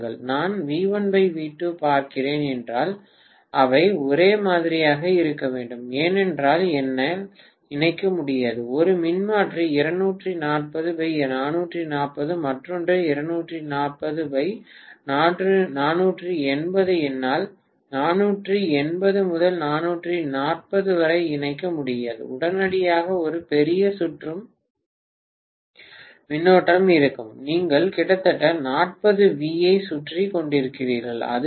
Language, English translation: Tamil, If I am looking at V1 by V2, right they have to be the same because I simply cannot connect, let us say how one transformer which is 240 by 440, the other one is 240 by 480, I can’t connect 480 to 440, immediately there will be a huge circulating current, you are short circuiting almost 40 volts, that is what it is